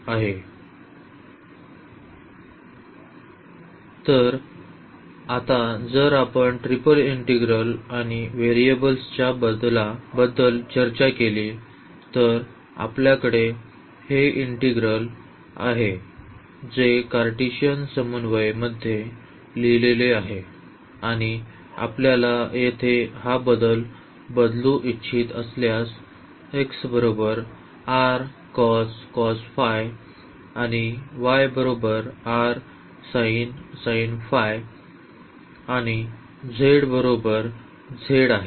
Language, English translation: Marathi, So, here now if we talk about the triple integral and the change of variables; so, we have this integral which is written in the Cartesian coordinates and if you want to make this change of variables here x is equal to r cos phi y is equal to r sin phi and z is equal to z